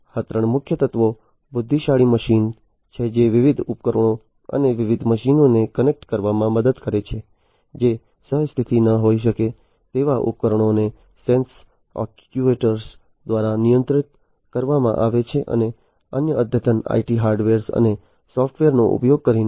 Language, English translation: Gujarati, So, these are the three key elements intelligent machines that help connect different devices and different machines, which may not be co located the devices are controlled through sensors actuators and using different other advanced IT hardware and software